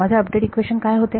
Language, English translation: Marathi, What was my update equation